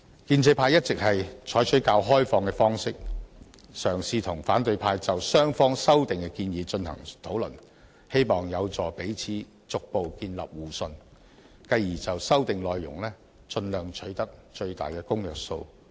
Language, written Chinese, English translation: Cantonese, 建制派一直採取較開放的方式，嘗試與反對派就雙方的修訂建議進行討論，希望有助彼此逐步建立互信，繼而就修訂內容盡量取得最大的公約數。, Pro - establishment Members have all along adopted a relatively open approach and tried to discuss with opposition Members the proposed amendments of both sides in the hope to gradually build mutual trust and subsequently work out the highest common factor concerning the contents of the amendments